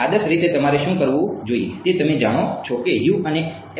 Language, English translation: Gujarati, Ideally what you should do you know that U is a function of x